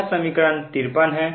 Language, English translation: Hindi, this is equation fifty three